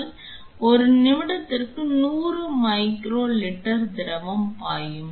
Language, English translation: Tamil, So, we will have 100 micro liter fluid flowing per minute